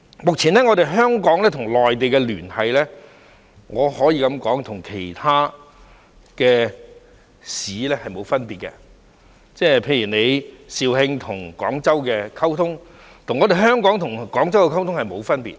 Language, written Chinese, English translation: Cantonese, 目前，香港與內地的連繫可以說與其他內地城市沒有分別，例如肇慶和廣州的溝通，與香港和廣州的溝通並沒有分別。, Currently it can be said that the tie between the Mainland and Hong Kong is no different from its tie with other mainland cities . For example the communication between Zhaoqing and Guangzhou is no different from the communication between Hong Kong and Guangzhou